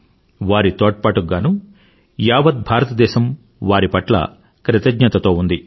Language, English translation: Telugu, The country is indeed grateful for their contribution